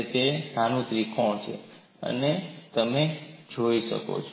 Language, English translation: Gujarati, That is this small triangle, what you see here